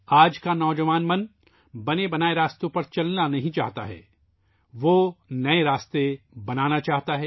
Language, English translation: Urdu, Today's young mind does not want to tread ready made beaten paths; it wants to carve out newer paths